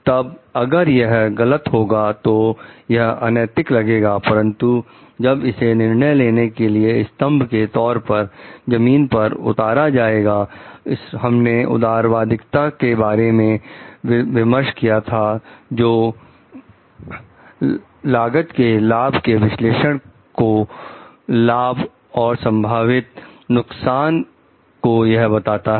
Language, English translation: Hindi, Then, it is wrong then this may sound an unethical, but if it is grounded on the pillars of decision making like that, we have mentioned of utilitarianism like which talks of doing a cost benefit analysis of the benefits and the potential harms